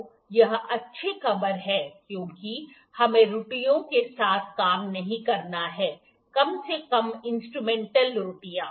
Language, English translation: Hindi, So, this is a good news we do not have to work with errors here at least instrumental errors